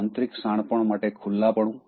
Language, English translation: Gujarati, Open to inner wisdom